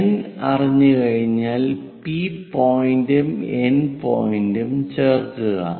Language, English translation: Malayalam, Once N is known join P point and N point